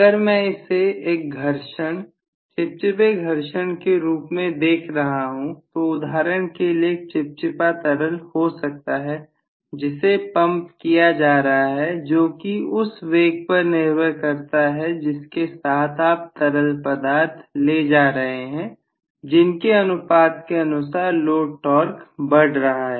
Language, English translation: Hindi, If I am looking at it as a friction viscous friction, for example there may be a viscous liquid is being pumped, depending upon the velocities with which the liquid is moving you are going to have a corresponding value of load torque demand increasing proportionately